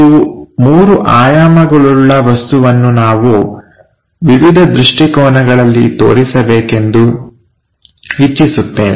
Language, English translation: Kannada, And this three dimensional object, we would like to locate in different perspectives